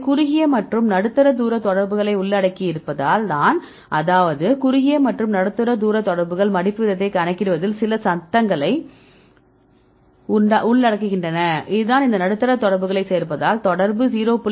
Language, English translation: Tamil, It is because they include the short and medium range contacts; that means, short and medium range contacts include some noise in calculating the folding rate this is the reason why if you including these medium range contacts the correlation is only 0